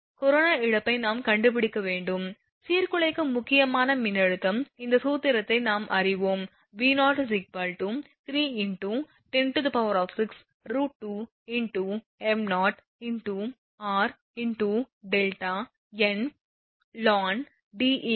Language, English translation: Tamil, We have to find out the corona loss Disruptive critical voltage this formula we know it is V0 is equal to Vrms is equal to 3 into 10 to the power 6 upon root 2 into r into delta into m 0 into ln into ln Deq upon r volt per phase